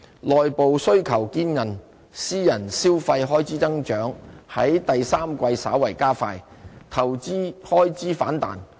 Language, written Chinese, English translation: Cantonese, 內部需求堅韌，私人消費開支增長在第三季稍為加快，投資開支反彈。, Domestic demand remained resilient and the growth in private consumption expenditure stepped up moderately in the third quarter amid a rebound in investment expenditure